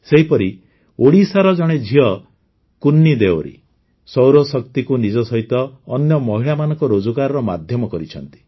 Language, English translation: Odia, Similarly, KunniDeori, a daughter from Odisha, is making solar energy a medium of employment for her as well as for other women